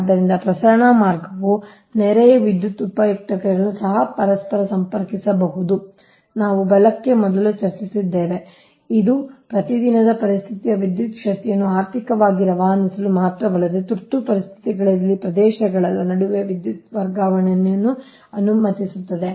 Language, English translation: Kannada, right, so transmission line also interconnect neighboring power utilities just we have discussed before right, which allows not only economic dispatch of electrical power within regions during normal conditions, but also transfer of power between regions during emergencies, right